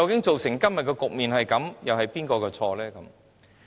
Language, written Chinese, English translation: Cantonese, 造成今天的局面，究竟是誰的責任？, Who actually should be held responsible for causing the situation today?